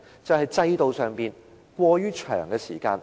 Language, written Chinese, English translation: Cantonese, 便是制度上審核時間過長。, It is the exceedingly long period of screening time under the mechanism